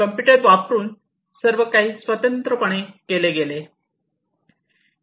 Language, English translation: Marathi, So, everything was done separately using computers